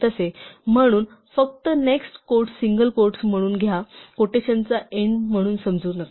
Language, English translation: Marathi, So, just take the next single quote as a single quote, do not treat as the end of the quotation